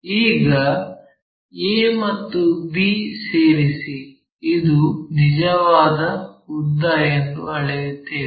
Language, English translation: Kannada, Now, join a and b, this is true length we will measure it